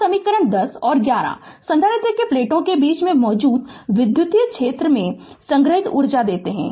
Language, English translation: Hindi, So, equation 10 and 11 give the energy stored in the electric field that exists between the plates of the capacitor